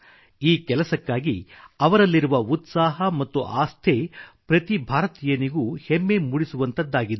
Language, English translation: Kannada, Their dedication and vigour can make each Indian feel proud